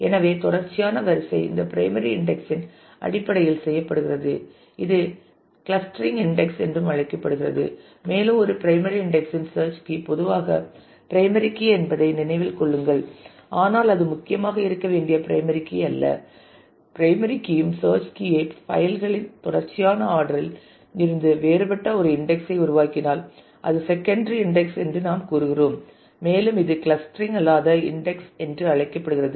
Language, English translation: Tamil, So, the sequential ordering is done based on that primary index it is called also called the clustering index and please keep in mind that the search key of a primary index is usually the primary key, but not necessarily the primary key it could be different from the primary key also and if I create an index who search key is different from the sequential order of the file then we say it is a secondary index and it is also called the non clustering index